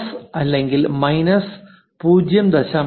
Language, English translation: Malayalam, 75 plus or minus 0